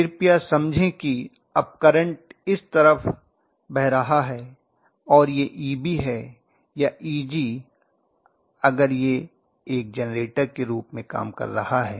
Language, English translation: Hindi, Please understand that now the current is flowing this way and this is EB or EG if it is working as a generator